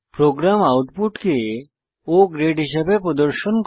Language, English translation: Bengali, The program will display the output as O grade